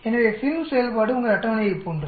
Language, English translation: Tamil, So FINV function is exactly like your table